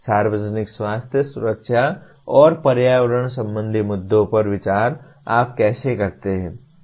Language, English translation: Hindi, Issues related to public health, safety and environmental consideration, how do you do that